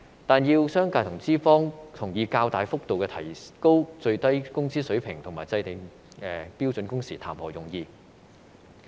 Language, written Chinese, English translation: Cantonese, 但是，要商界和資方同意較大幅度提高最低工資水平和制訂標準工時，談何容易。, However it is very difficult to persuade the business community and the employers to accept a substantial increase in the minimum wage level and the introduction of standard working hours